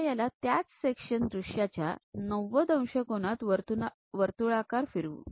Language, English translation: Marathi, Now, flip that circle into 90 degrees on the same section show it